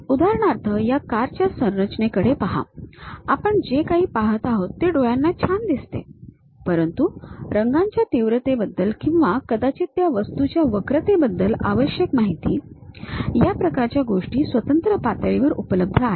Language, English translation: Marathi, For example: this car body whatever these we are looking at, it looks nice to eyes, but the essential information about color contrast or perhaps the curvature of that object; these kind of things are available at discrete information